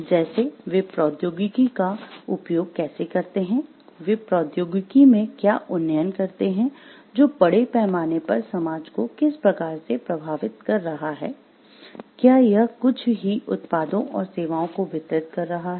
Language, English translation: Hindi, Like, how they use the technology what up gradation do they make in the technology, and how it is affecting the society at large, is it taking into concern is it delivering certain products and services